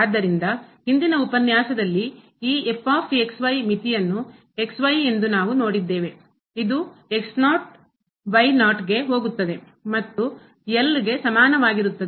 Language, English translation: Kannada, So, in the previous lecture what we have seen that this limit as goes to is equal to L